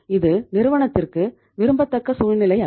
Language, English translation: Tamil, This is not desirable situation for the firm